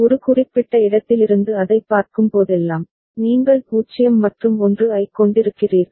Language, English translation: Tamil, Whenever you see that from a particular place, you are having a 0’s and 1’s right